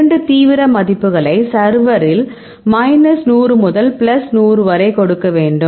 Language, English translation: Tamil, So, you can give two extreme values server actually can give minus 100 to plus 100 ok